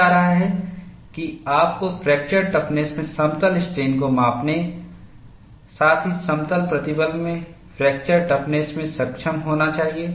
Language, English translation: Hindi, Having said that, you should also be able to measure fracture toughness in plane strain as well as fracture toughness in plane stress